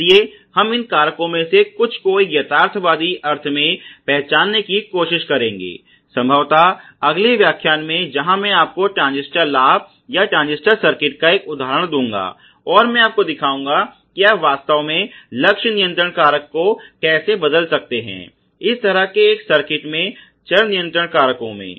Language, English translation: Hindi, So, we will try to identify some of these factors in a realistic sense probably in the next lecture where I will give you one example of transistor gain or transistor circuit, and I will show you the that how you can change really the target control factors in the variable control factors in such a circuit